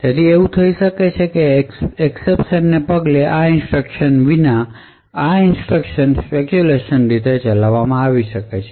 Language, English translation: Gujarati, So it may happen that these instructions without these instructions following the exception may be speculatively executed